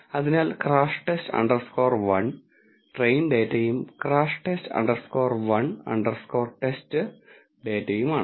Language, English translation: Malayalam, So, crash test underscore 1 is the train data and crash test underscore 1 underscore TEST is the test data